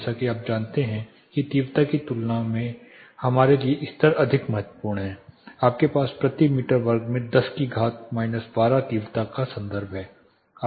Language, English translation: Hindi, As such you know the levels are more important for us then the intensity itself you have the intensity reference again 10 power minus 12 watt per meter square